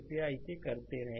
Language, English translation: Hindi, You please do it